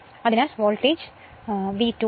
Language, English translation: Malayalam, So, voltage is V 2 right